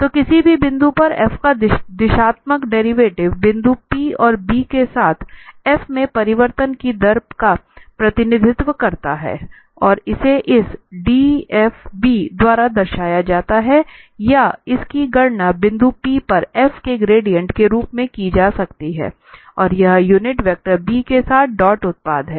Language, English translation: Hindi, So, at any point, the directional derivative of f represents the rate of change in f along b at the point p and this is denoted by this dbf or, and it can be computed as the gradient of f evaluated at the point p, and it is dot product with the unit vector B